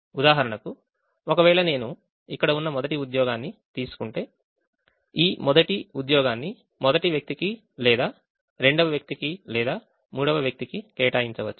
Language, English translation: Telugu, so if i take i, for example, if i take the first job which is here, then this first job can be assigned to either the first person or the second person or the third person, so it can go to only one person